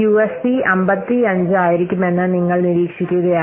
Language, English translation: Malayalam, So, finally you are observing that UAP is coming to be 55